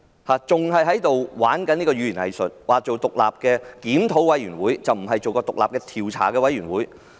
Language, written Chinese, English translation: Cantonese, 她還在玩弄語言"偽術"，說成立獨立檢討委員會，不是獨立調查委員會。, She has still engaged in hypocritical rhetoric claiming to establish an independent review committee not an independent investigation committee